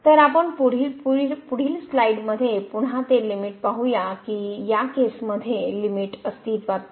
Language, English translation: Marathi, So, we will see in this in the next slide now again that limit in this case does not exist